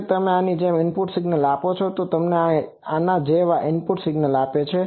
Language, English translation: Gujarati, Also if you give a input signal like this, this one gives you signal like this